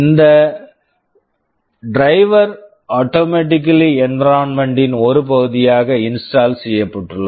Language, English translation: Tamil, This driver is automatically installed as part of the environment